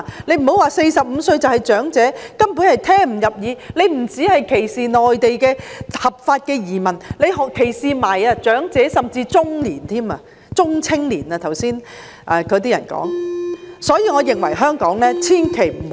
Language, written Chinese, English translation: Cantonese, 不要說45歲的是長者，根本聽不入耳；這不只歧視內地的合法移民，還歧視長者，甚至中年，即剛才有些議員說的中青年。, Do not say that 45 - year - olds are elderly persons . This remark is too harsh to the ears . It discriminates against not just legal immigrants from the Mainland but also the elderly and even middle - aged people namely the young to middle - aged people as some Members referred to earlier